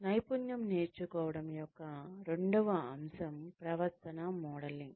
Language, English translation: Telugu, The second aspect of learning a skill, is behavior modelling